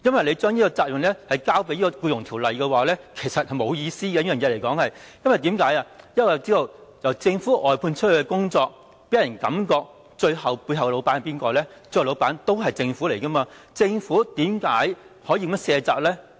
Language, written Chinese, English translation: Cantonese, 你將這個責任推給《僱傭條例》是沒有意思的，因為我們知道由政府外判的工作予人的感覺政府是背後的老闆，政府為何可以這樣卸責呢？, So it means nothing . Shirking this responsibility to EO is meaningless because as we all know the Government is the boss behind its outsourced work . How could the Government shirk its responsibility like this?